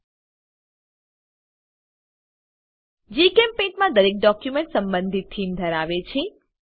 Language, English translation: Gujarati, In GchemPaint, each document has an associated theme